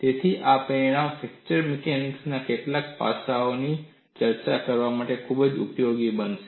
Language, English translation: Gujarati, So, this result is going to be quite useful for discussing certain aspects of fracture mechanics